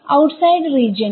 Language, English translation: Malayalam, The outside region